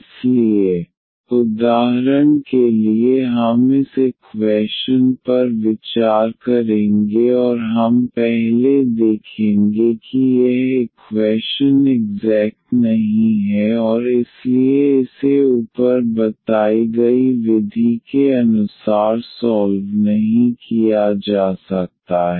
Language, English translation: Hindi, So, for instance we will consider this equation and we will first see that this equation is not exact and hence it cannot be solved as the method discussed above